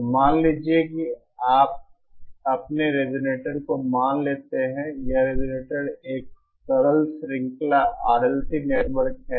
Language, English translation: Hindi, So here suppose you assume your resonator, this resonator to be a simple series R L C network